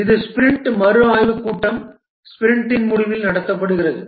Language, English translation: Tamil, The sprint review meeting, this is conducted at the end of the sprint